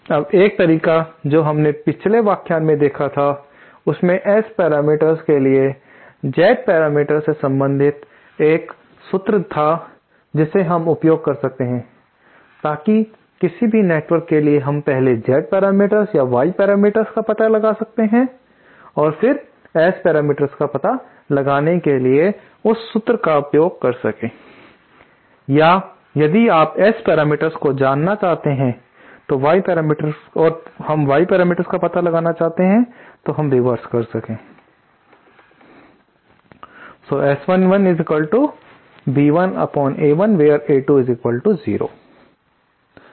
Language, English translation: Hindi, Now 1 way that we saw in the previous lecture was there was a formula relating the Z parameters to the S parameters we can use that so for any network we can first find out the Z parameters or Y parameters and then use that formula to find out the S parameters or if you want to know the S parameters and we want to find out the Y parameters we can do the reverse